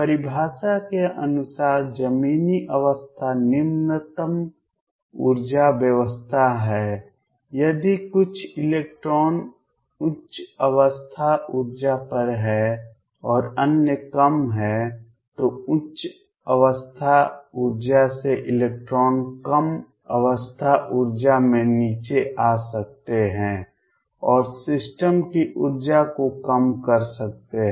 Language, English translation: Hindi, Ground state by the definition is the lowest energy state, if some electrons are at higher state energy and others are at lower the electrons from higher state energy can dump come down to lower state energy and lower the energy of the system